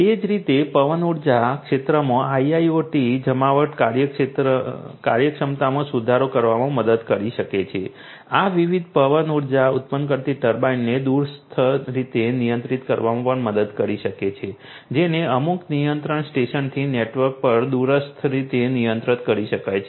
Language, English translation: Gujarati, In the wind energy sector likewise IIoT deployment can help in improving the efficiency this can also help in remotely controlling the different you know the wind generating turbines these could be controlled remotely over a network from some control station